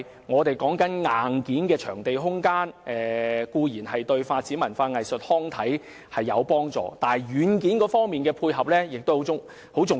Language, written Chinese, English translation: Cantonese, 我們所說的硬件場地空間對發展文化、藝術及康體固然有幫助，但軟件的配合亦十分重要。, Hardware facilities such as venues and space as we have discussed are definitely helpful to cultural arts and sports development . But software facility support is likewise very important